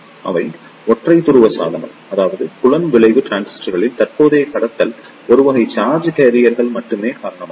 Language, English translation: Tamil, They are the unipolar device; that means the current conduction in the field effect transistor is due to only one type of charge carriers